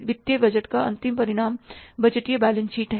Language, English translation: Hindi, The end result of the financial budget is the budgeted balance sheet